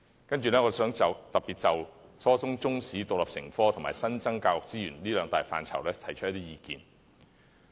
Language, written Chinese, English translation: Cantonese, 接下來，我想特別就初中中史獨立成科及新增教育資源兩大範疇提出一些意見。, Next I wish to raise some views in particular on two aspects making Chinese History as an independent subject at the junior secondary level and the new resources for education